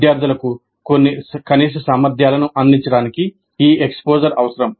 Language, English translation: Telugu, As I mentioned, this exposure is required to provide certain minimal competencies to the students